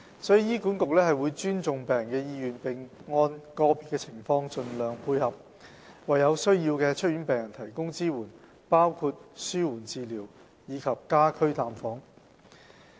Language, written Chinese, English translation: Cantonese, 所以，醫管局會尊重病人的意願，並按個別情況盡量配合，為有需要的出院病人提供支援，包括紓緩治療及家居探訪。, HA will respect patients will and provide support including palliative care services and home visits as appropriate for discharged patients in need in the light of individual circumstances